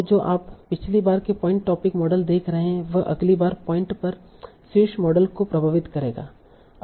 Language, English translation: Hindi, So what you are seeing the previous time point topic models will influence the topic model at the next time point